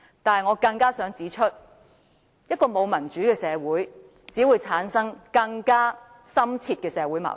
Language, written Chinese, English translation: Cantonese, 但我更想指出，一個沒有民主的社會，只會產生更深切的社會矛盾。, Yet I would like to point out that a society without democracy will only create more deep - rooted social conflicts